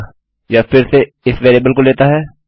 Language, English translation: Hindi, So, again its taking this variable into account